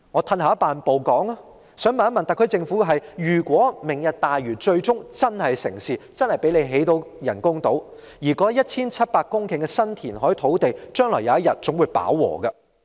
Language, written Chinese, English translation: Cantonese, 退一萬步來說，我想問問特區政府，如果"明日大嶼"最終成事，可以成功興建人工島，但那 1,700 公頃的新填海土地，將來總有一天會飽和。, In any case if the Lantau Tomorrow programme can eventually be implemented and artificial islands constructed successfully the 1 700 hectares of newly reclaimed land will reach its full capacity one day